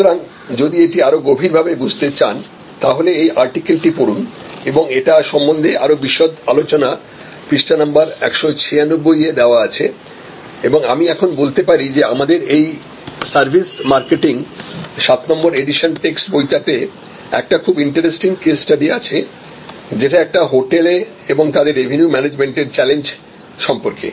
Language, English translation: Bengali, So, if you want to understand it in greater depth then please read this particular paper in addition to the more detail discussion that you can have at page 196 and at this stage I might mention that in this text book that is our services marketing seventh edition we have a very interesting case, which is for a hotel and there challenge of revenue management